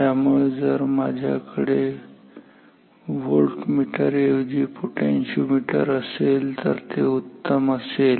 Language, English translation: Marathi, So, if I have a potentiometer instead of voltmeter that will be even better